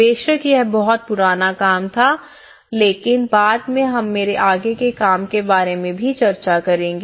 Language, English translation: Hindi, Of course, this was a very old work but later on, we will be discussing on my further work as well